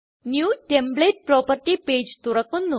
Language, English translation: Malayalam, New template property page opens